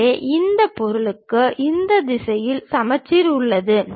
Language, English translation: Tamil, So, we have symmetry in this direction for this object